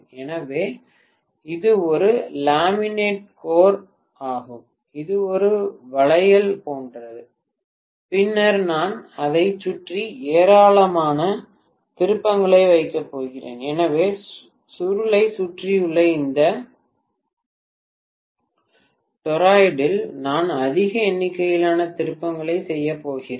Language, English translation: Tamil, So that is also a laminated core which is like a bangle and then I am going to put huge number of turns around it, so in this toroid which is actually around the coil I am going to make huge number of turns, these are the two terminals that are available